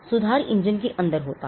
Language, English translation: Hindi, The improvement rests inside the engine